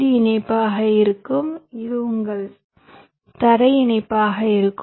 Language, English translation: Tamil, this will be your vdd connection, this will be your ground connection